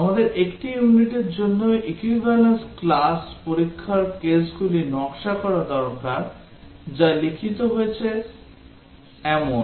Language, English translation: Bengali, We need to Design Equivalence class test cases for a unit which is a functional that has been written